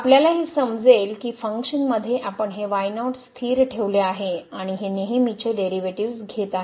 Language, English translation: Marathi, We can also understand this as so here in the function we have kept this as constant and taking this usual derivatives